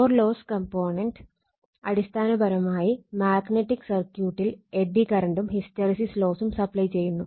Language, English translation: Malayalam, So, eddy current loss that is core loss component basically is supplying eddy current and hysteresis losses